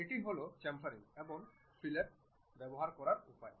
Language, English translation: Bengali, This is the way we use chamfering and fillet